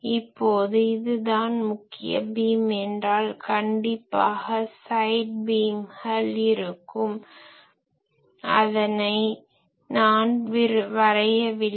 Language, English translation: Tamil, Suppose this is the main beam; obviously, there are side beams I am not drawing that